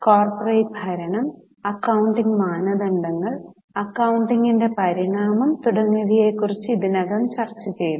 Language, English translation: Malayalam, So, we have already discussed about corporate governance, accounting standards, evolution of accounting and so on